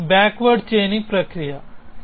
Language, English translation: Telugu, This is the process of backward chaining